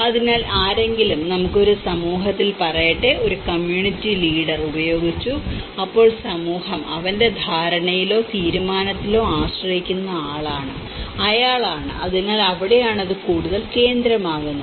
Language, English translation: Malayalam, So, someone let us say in a community; a community leader has used that then, he is the one where the community is relying upon his understanding or his decision, so that is where that is more central that becomes more central